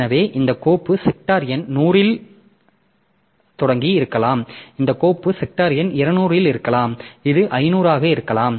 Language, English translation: Tamil, So, this file may be starting at say sector number 100, this file may be at sector number 200, this may be at 500 so like that